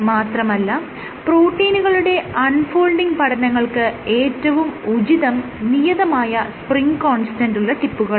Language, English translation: Malayalam, So, for protein unfolding studies you would want to work with tips which have spring constants